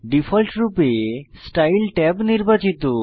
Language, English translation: Bengali, By default, Style tab is selected